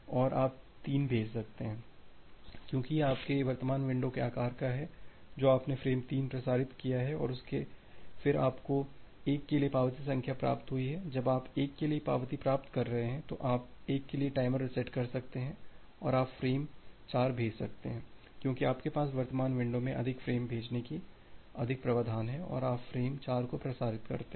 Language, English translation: Hindi, And you can send 3 because, it belongs to your current window size you transmit the frame 3 and then you received the acknowledgement number for 1 once you are receiving the acknowledgement for 1 you can reset the timer for 1 and you can send frame 4 because you have you have more provision to send more frames in the current window and you transmit frame 4